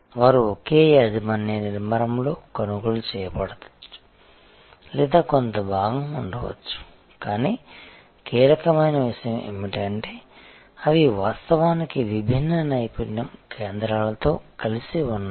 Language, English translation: Telugu, They might have been acquired or part of the same ownership structure, but the key point is operationally they are actually coming together of different expertise centres